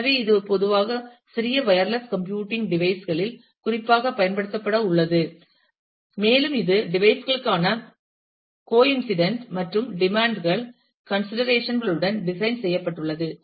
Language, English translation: Tamil, So, it is typically specifically for use on small wireless computing devices, and it is designed with considerations for demands and coincident of the device